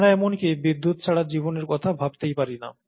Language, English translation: Bengali, We cannot even think of a life without support from electricity